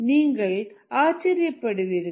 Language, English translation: Tamil, you might be surprised